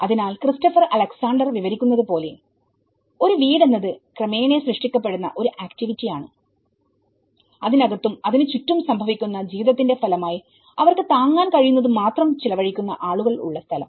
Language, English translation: Malayalam, So, as Christopher Alexander describes a house is an activity which is ëcreated gradually, as a direct result of living which is happening in it and around ití by people who spend only what they can afford